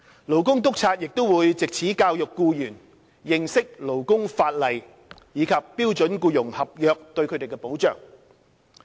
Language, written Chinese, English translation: Cantonese, 勞工督察亦會藉此教育僱員認識勞工法例及標準僱傭合約對他們的保障。, Labour inspectors will also take this opportunity to educate employees on the protection afforded them under labour laws and SEC